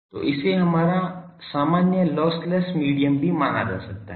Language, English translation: Hindi, So, it is can be considered as our usual lossless medium also